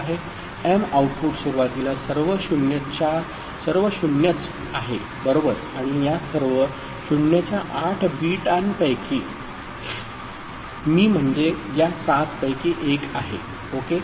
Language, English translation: Marathi, M output initially is all 0’s right and out of this all 0’s 8 bits this ones in the blue the seven one ok